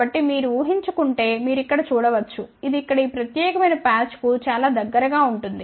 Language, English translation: Telugu, So, you can see that try to imagine then this will be very very close to this particular patch here